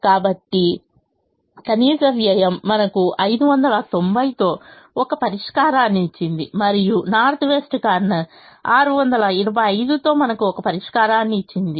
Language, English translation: Telugu, so the minimum cost gave us a solution with five hundred and ninety and the north west corner gave us a solution with six hundred and twenty five